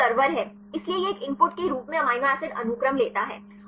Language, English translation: Hindi, So, this is the server; so it takes the amino acid sequence as an input